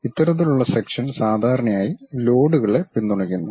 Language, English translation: Malayalam, These kind of sections usually supports loads